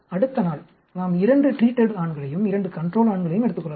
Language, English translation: Tamil, Next day, we may take two treated male and two treated control male